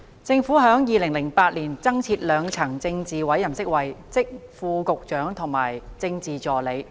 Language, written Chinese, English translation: Cantonese, 政府在2008年增設兩層政治委任職位，即副局長及政治助理。, In 2008 the Government created two additional tiers of political appointment positions namely Under Secretaries and Political Assistants